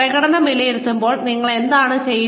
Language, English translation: Malayalam, What do you do, when appraising performance